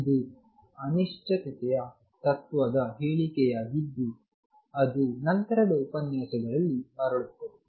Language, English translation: Kannada, This is a statement of uncertainty principle which will come back to in later lectures